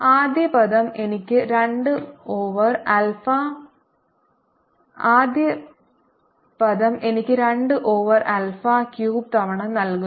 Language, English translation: Malayalam, the last term is two over alpha cubed